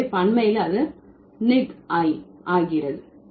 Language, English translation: Tamil, So, in plural it becomes niggi